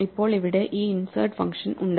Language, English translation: Malayalam, Then we have this insert function here